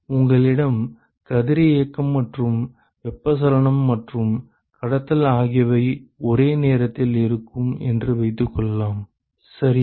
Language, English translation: Tamil, Suppose you have radiation and convection and conduction simultaneously ok